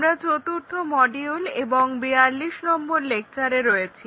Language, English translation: Bengali, We are covering module number 4 and lecture number 42